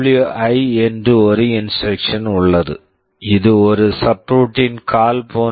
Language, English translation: Tamil, There is an instruction called software interrupt or SWI, this is like a subroutine call